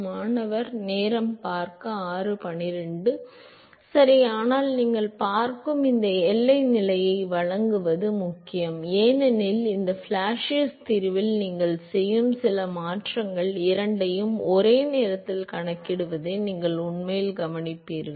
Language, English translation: Tamil, Right, but it is important to provide this boundary condition you will see because some of the transformation you make in this Blasius solution, you will actually see that it will account for both simultaneously